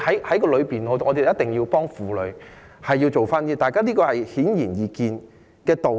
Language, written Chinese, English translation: Cantonese, 所以，我們一定要幫助婦女做點事情，這個是顯而易見的道理。, Therefore we must help to do something for women in return and this is a very plain and simple principle